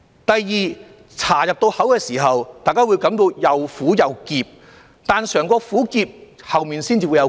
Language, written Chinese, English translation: Cantonese, 第二，茶入口時，大家會感到又苦又澀，但嘗過苦澀才會有後面的回甘。, Also the tea is bitter and astringent when you first taste it but there is a sweet aftertaste